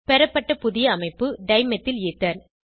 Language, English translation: Tamil, The new structure obtained is Dimethylether